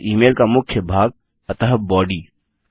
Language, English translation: Hindi, Then we have the body of the email so body